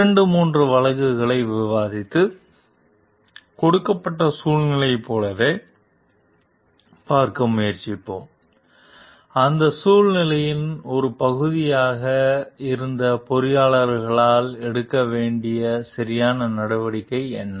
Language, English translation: Tamil, We will discuss two three cases also and try to see as in a given situation; what was the correct step to be taken by the engineers who were a part of that situation